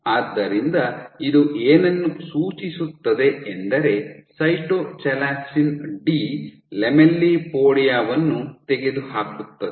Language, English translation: Kannada, So, what you have this suggest that Cytochalasin D eliminates the lamellipodia